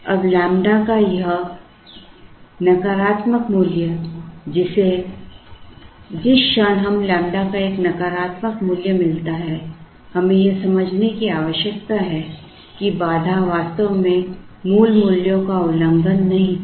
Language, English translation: Hindi, Now, this negative value of lambda, when which the moment we get a negative value of lambda we need to understand that the constraint was actually not violated by the original values